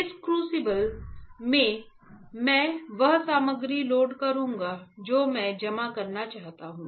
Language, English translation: Hindi, In this crucible, I will load the material that I want to deposit